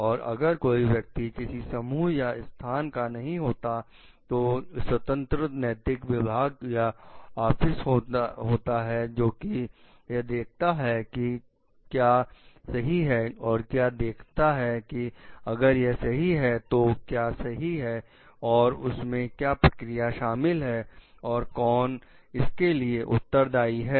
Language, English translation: Hindi, And there some person who is not linked to any group or position like in is an independent ethics officer, who like the advocate of what is fairness and if it is and what is fairness and what are the procedures involved in it and who is responsible for it